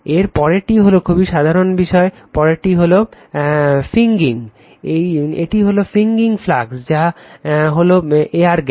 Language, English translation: Bengali, Next is it is very simple thing next is fringing, it is fringing flux, which is air gap